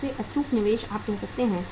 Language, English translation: Hindi, Most illiquid investment you can say